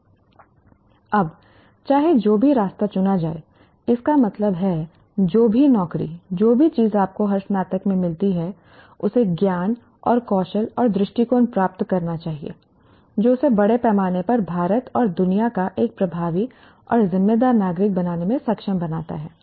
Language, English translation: Hindi, Now, irrespective the path chosen, that means whatever job, whatever thing that you get into, every graduate must attain knowledge and skills and attitudes that enable him to be an effective and responsible citizen of India and world at large